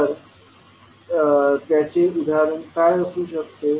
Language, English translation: Marathi, Now, what can be the example